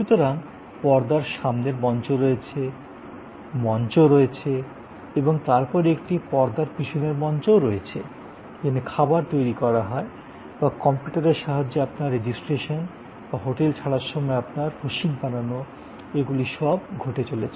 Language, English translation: Bengali, So, there is a front stage, on stage and then there is a back stage, where preparation of the food or your registration in the computer system or your billing when you are checking out, all of these are happening